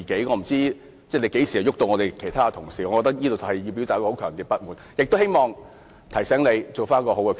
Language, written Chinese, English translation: Cantonese, 我不知道你何時會趕走其他同事，我要對此表達強烈的不滿，亦希望提醒你作出更好的決定。, I do not know when you will cast out other colleagues . I have to express my strongest dissatisfaction here . I would like to remind you that you should make a better decision